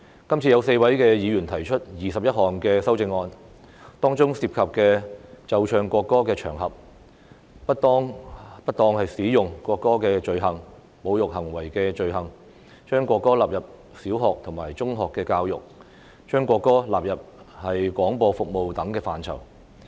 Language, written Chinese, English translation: Cantonese, 今次有4位議員提出21項修正案，當中涉及奏唱國歌的場合、不當使用國歌的罪行、侮辱行為的罪行、將國歌納入小學和中學教育，以及將國歌納入廣播服務等範疇。, Four Members have proposed 21 amendments concerning occasions on which the national anthem must be played and sung offence of misuse of national anthem offence of insulting behaviour inclusion of the national anthem in primary and secondary education and inclusion of the national anthem in broadcasting service